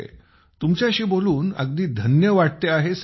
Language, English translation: Marathi, We are blessed to talk to you sir